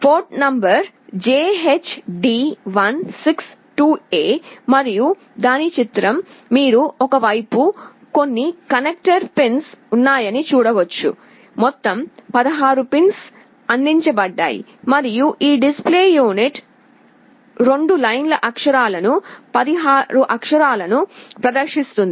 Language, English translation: Telugu, The part number is JHD162A and this is the picture of it, you can see on one side there are some connector pins, a total of 16 pins are provided and this display unit can display 2 lines of characters, 16 characters each